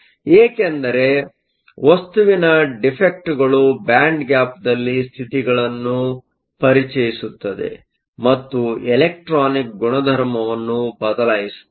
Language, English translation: Kannada, This is because defects in a material will introduce states in the band gap, and will change the electronic properties